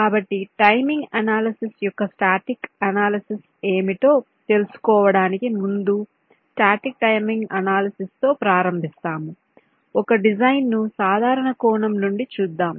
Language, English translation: Telugu, ok, before going into what static ana analysis of timing analysis is, let us look at a design from a general perspective